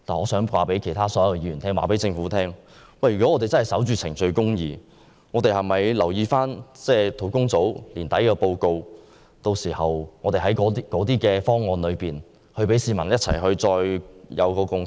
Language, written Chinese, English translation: Cantonese, 我想告訴所有議員和政府，如果我們要守着程序公義，便應留意專責小組將於今年年底發表的報告，並讓市民在考慮眾多方案後取得共識。, I want to tell all Members and the Government if we want to uphold procedural justice we should pay heed to the report of the Task Force to be released by the end of this year and allow members of the public to reach a consensus after considering various proposals